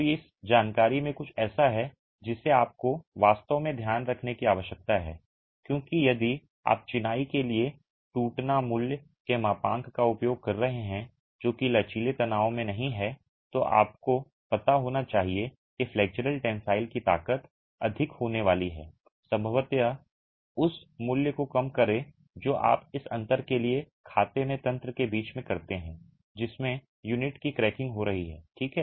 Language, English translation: Hindi, So, this information is something that you really need to keep in mind because if you are using the model as a rupture value for masonry which is not in flexual tension, then you should know that the flexual tensile strength is going to be higher and probably reduce the value in a way that you account for this difference between the mechanisms in which cracking of the unit is happening